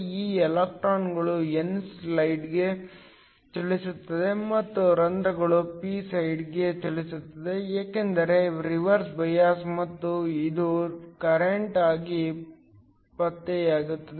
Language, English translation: Kannada, These electrons move to the n side and the holes moves to the p side, because of reverse bias and this gets detected as a current